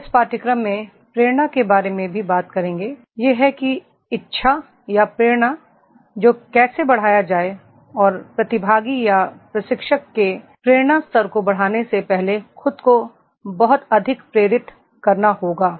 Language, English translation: Hindi, We will talk in this course about the motivation also, that is how to enhance the willingness or motivation and before the enhancing the motivation level of the participant or trainer himself has to be very highly motivated